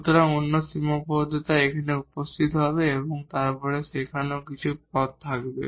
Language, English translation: Bengali, So, at another constraint will appear here and then some more terms there